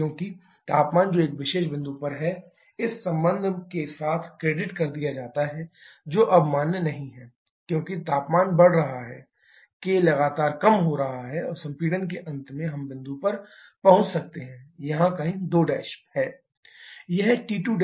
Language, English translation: Hindi, Because the temperature that is at a particular point been credited with this relation that is no longer valid as temperature is increasing case continuously decreasing and at the end of compression we may reach up at point somewhere here is 2 prime